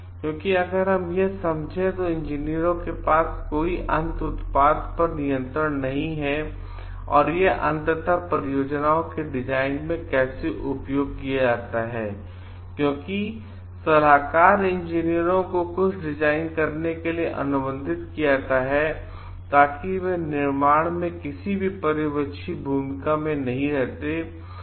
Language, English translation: Hindi, Because if we understand like here the engineers do not have any control on the end product and how it is used ultimately in design only projects consultant engineers are contracted to design something, because they but they do not have any supervisory role in the construction